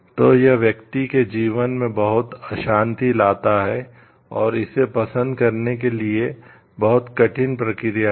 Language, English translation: Hindi, So, it brings a lot of disturbance in the life of the person and it is a very like tedious process to like serve this